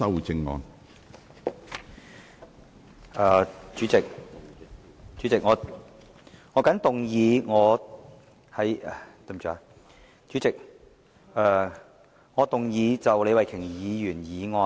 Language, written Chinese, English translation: Cantonese, 主席，我動議修正李慧琼議員的議案。, President I move that Ms Starry LEEs motion be amended